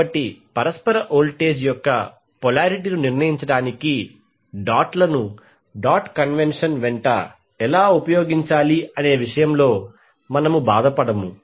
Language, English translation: Telugu, So we will not bother how to place them the dots are used along the dot convention to determine the polarity of the mutual voltage